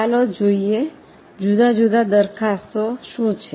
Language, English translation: Gujarati, So, let us see what are the different proposals